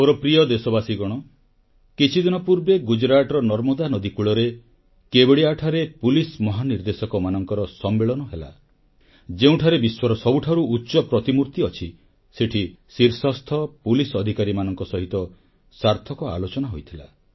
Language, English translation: Odia, My dear countrymen, a few days ago, a DGP conference was held at Kevdia on the banks of Narbada in Gujarat, where the world's highest statue 'Statue of Unity' is situated, there I had a meaningful discussion with the top policemen of the country